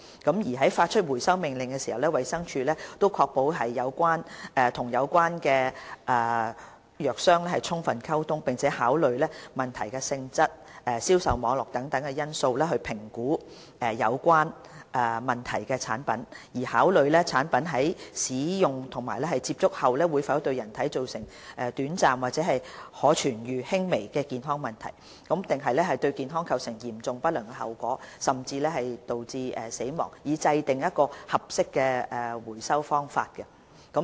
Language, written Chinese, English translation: Cantonese, 在發出回收命令時，衞生署會確保與有關藥商充分溝通，並考慮問題的性質、銷售網絡等因素評估有問題的產品，考慮該產品在使用及接觸後會否對人體造成短暫、可治癒、輕微的健康問題，抑或對健康構成嚴重不良的後果，甚至導致死亡，以制訂合適的回收方法。, In issuing a recall order DH will ensure adequate communication with the trader concerned and take into consideration such factors as the nature of the problem the sale network and so on and consider if short - term curable minor health problems or seriously adverse consequences or even deaths will be caused to people using or coming into contact with the product for the formulation of appropriate recall methods